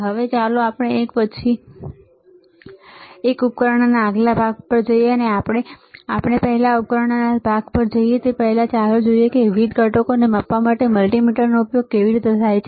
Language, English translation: Gujarati, Now, let us move to the next set of device one by one, and before we move to the next set of device first, let us see how multimeter is used for measuring the different components, all right